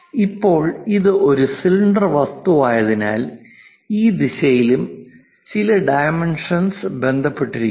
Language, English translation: Malayalam, Now, because it is a cylindrical object, there are certain dimensions associated in this direction also